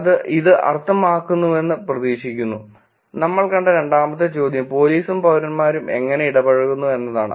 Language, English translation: Malayalam, Hope that make sense which is, the second question that we saw is engagement characteristics how police and citizens are engaging